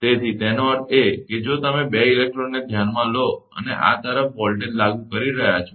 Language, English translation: Gujarati, So; that means, if you consider 2 electrode and, you are applying voltage across this